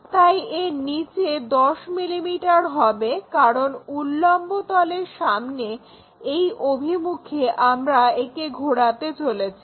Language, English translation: Bengali, So, below that will be 10 mm, because that is the direction in front of VP which we are going to rotate it